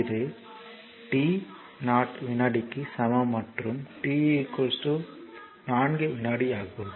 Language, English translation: Tamil, So, here actually t 0 is equal to 2 second here right this is t 0 equal to 2 second and this is your t is equal to 4 second right